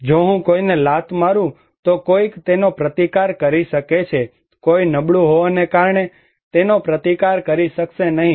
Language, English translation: Gujarati, If I kick someone, then somebody can resist it, somebody cannot resist it because he is weak